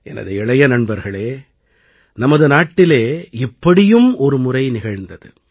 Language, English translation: Tamil, But my young friends, this had happened once in our country